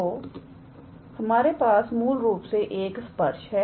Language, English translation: Hindi, So, we have basically a tangent